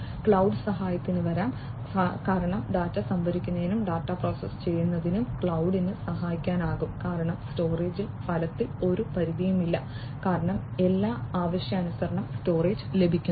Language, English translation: Malayalam, Cloud can come to the help, because cloud can help in storing the data and also processing the data, because there is as such virtually there is no limit on the storage because if everything the storage is also obtained on demand